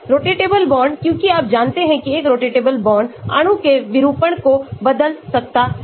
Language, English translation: Hindi, rotatable bonds because as you know a rotatable bond can change the conformation of the molecule